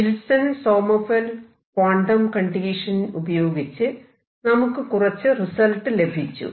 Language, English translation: Malayalam, What we done so far as did the Wilson Sommerfeld quantum conditions, and got some result more importantly